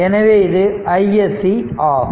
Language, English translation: Tamil, So, that is i s c